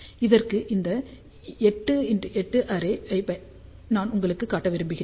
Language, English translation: Tamil, So, for this 8 by 8 array I just want to show you